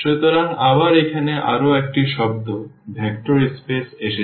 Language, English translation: Bengali, So, again one more term here the vector space has come